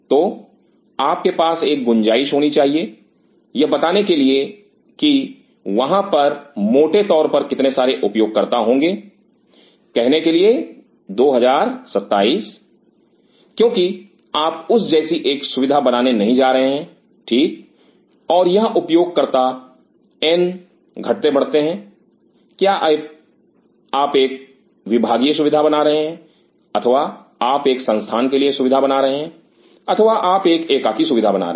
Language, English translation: Hindi, So, you have to have a margin to tell that how many users will be there in prime by say 2027 because you are not going to make a facility like that right and this user n varies are you making a departmental facility or you are making an institute facility or you are making an individual facility